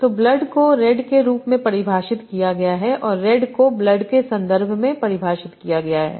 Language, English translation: Hindi, So blood is defined in terms of red and red is defined in terms of blood